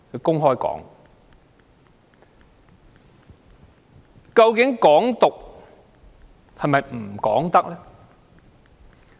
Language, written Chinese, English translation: Cantonese, 究竟"港獨"是否不容討論？, Is Hong Kong independence an issue that discussion is not permitted?